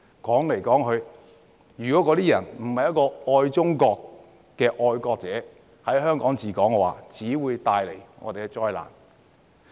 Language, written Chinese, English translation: Cantonese, 說來說去，如果不是愛中國的"愛國者治港"，只會帶來災難。, After all if Hong Kong is not administered by patriots who love China there will only be disasters